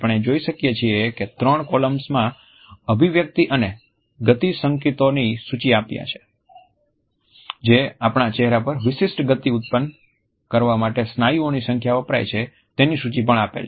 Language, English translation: Gujarati, In the three columns, we find that after having listed the expression and the motion cues, the number of muscles which have been used for producing a particular motion on our face are also listed